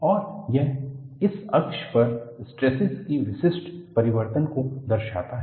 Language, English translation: Hindi, And, this shows the typical variation of the stresses on this axis